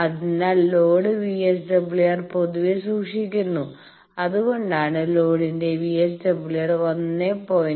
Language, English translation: Malayalam, So, load VSWR is generally kept that is why it is our drive to keep the VSWR of the load within 1